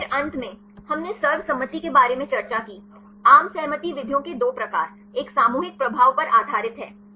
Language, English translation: Hindi, Then finally, we discussed about the consensus; the two types of consensus methods; one is based on ensembles